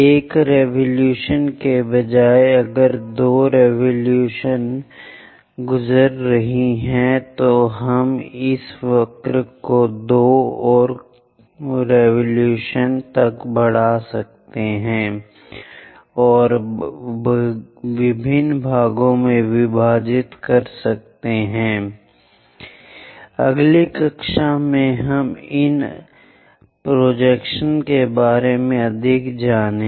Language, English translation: Hindi, Instead of one revolution if two revolutions are passing we are going to extend this curve to two more revolutions by dividing into many more number of parts and smoothly connecting it; with this, we are closing conical sections